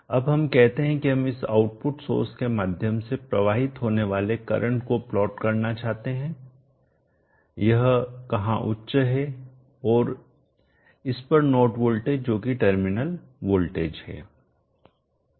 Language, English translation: Hindi, Now let us say we would like to plot the current through this output source where is high and the node voltage across this that is the terminal voltage